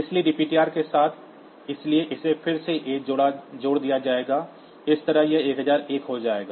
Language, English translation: Hindi, So, with the dptr, so this again that a will be added, so that way it will become it will become 1001